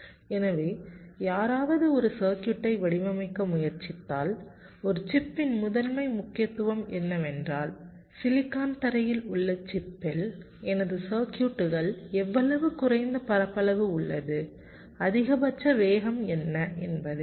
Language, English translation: Tamil, so when someone try to design a circuit, a chip, the primary emphasis was how much less area is occupied by my circuits on the chip, on the silicon floor, and what is the maximum speed